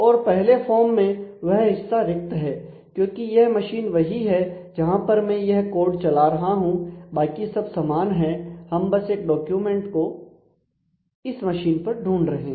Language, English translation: Hindi, And in the first form that part is missing because it is by default the machine where I am running this code and rest of it is same which is basically the identifying the document to be to be located in that machine